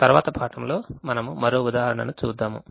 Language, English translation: Telugu, in the next class we will see one more example